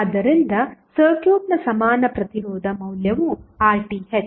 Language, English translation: Kannada, So, equivalent resistance value of the circuit is Rth